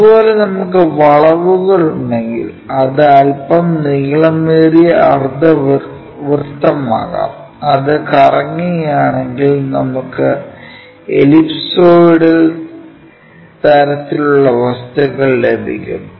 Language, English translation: Malayalam, Similarly, if we have curves for example, this curve, it can be semicircle it can be slightly elongates ah semicircle also, if we revolve it ellipsoidal kind of objects we will get